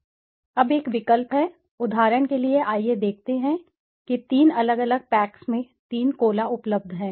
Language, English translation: Hindi, Now there is a choice, for example let us see there are three Colas available in three different packs